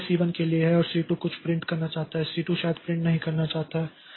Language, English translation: Hindi, Now C2 also, this is for C1 and C2 also wants to print something